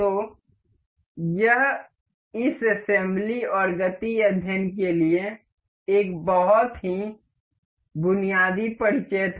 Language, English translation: Hindi, So, this was a very basic of introduction for this assembly and motion study